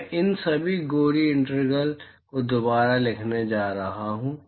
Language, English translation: Hindi, I am not going to write all these gory integrals again